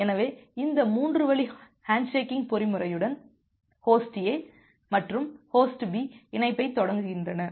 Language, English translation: Tamil, So, with this 3 way handshaking mechanism, Host A and Host B initiate the connection